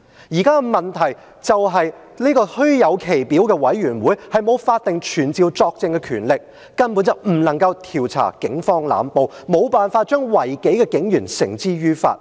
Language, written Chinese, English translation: Cantonese, 現在的問題是，這個虛有其表的委員會，沒有法定傳召作證的權力，根本不能夠調查警方濫暴，沒有辦法將違紀的警員繩之於法。, The current problem is this meretricious committee has no statutory power to summon witnesses thus it cannot probe into police brutality and bring policemen who have violated the rules to justice